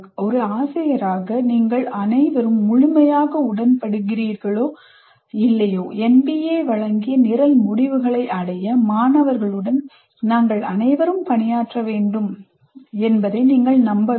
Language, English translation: Tamil, So as teacher you should believe that all we have to work with students to make them attain program outcomes as given by NBA